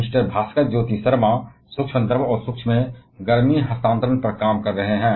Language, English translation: Hindi, Mister Bhaskarjyoti Sharma is working on micro fluidics and heat transfer at microscale